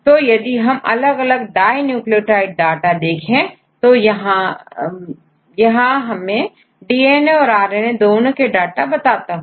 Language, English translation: Hindi, So, here I show the data for the different dinucleotides though here this I use give the data for both the DNA and RNA